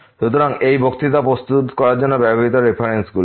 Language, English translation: Bengali, So, these are the references used for preparing these lectures and